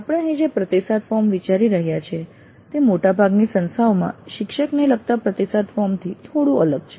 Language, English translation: Gujarati, The feedback form that we are considering here is slightly different from the feedback that most of the institutes do get regarding the faculty